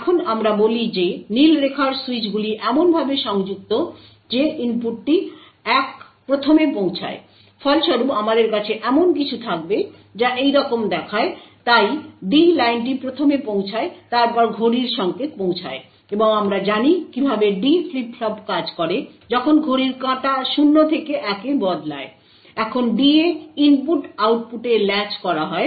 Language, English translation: Bengali, Now let us say that the blue line switches connected to that the input reaches 1st, as a result we would have something which looks like this so we have the D line reaching first then the clock signal reaching and as we know how a D flip flop works when the clock transitions from 0 to 1, the input at D is then latched at the output